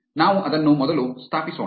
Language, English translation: Kannada, Let us install that first